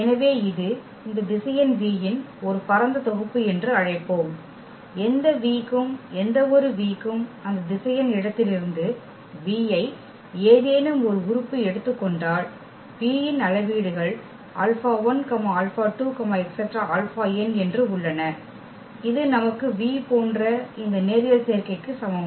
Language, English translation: Tamil, So, we will call that this is a spanning set of this vector v if for any V, if for any v take any element from that vector space V then there exist the scalars this alpha 1, alpha 2, alpha n such that we have v is equal to this linear combination of these vs here